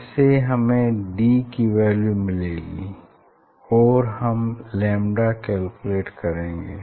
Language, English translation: Hindi, you will get the get the d value as well as m value and calculate lambda